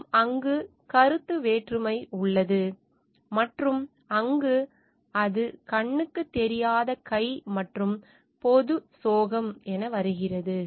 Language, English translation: Tamil, And there lies the conflict of interest, and there is where it comes the invisible hand and the tragedy of commons